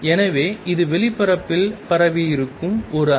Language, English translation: Tamil, So, this is a wave which is spread over space